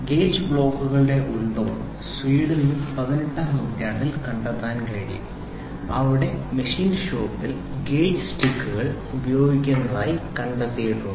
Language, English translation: Malayalam, The origin of gauge blocks can be traced to 18th century in Sweden where gauge sticks were found to be used in the machine shop